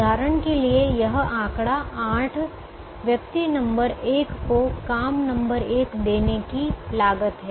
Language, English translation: Hindi, for example, this figure eight would be the cost of giving job one to person number one